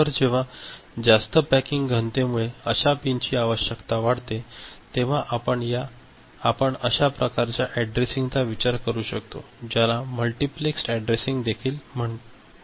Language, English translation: Marathi, So, whenever the number of such pins requirement becomes high because of higher packing density, we can think of some such way of addressing which is also known as multiplexed addressing